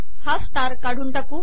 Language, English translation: Marathi, Lets remove the star here